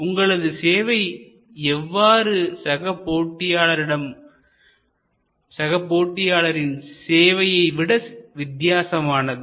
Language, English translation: Tamil, How is your service different from competitive services